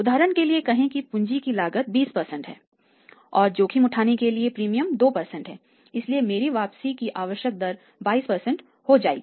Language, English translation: Hindi, Say for example the cost of capital is 20% then some premium should be there for example premium for the risk is 2% so my required rate of return will become 22%